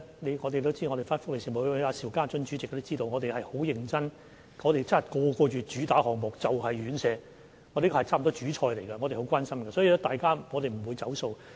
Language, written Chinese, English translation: Cantonese, 大家都知道，福利事務委員會主席邵家臻議員也知道，我們是很認真的，我們每個月討論的主打項目，就是院舍，此項目差不多是"主菜"，我們都很關心，所以我們不會"走數"。, As you all know and so does Mr SHIU Ka - chun Chairman of the Panel on Welfare Services we are very serious in this area . The major item or kind of main course of our discussion each month is care homes which are our main concern . We thus will not go back on our words